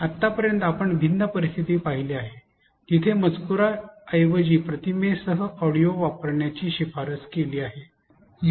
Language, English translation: Marathi, Till now we have seen different scenarios where it is recommended to use audio with image instead of on screen text